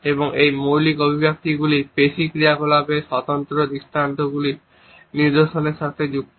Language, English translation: Bengali, And these basic expressions are associated with distinguishable patterns of muscular activity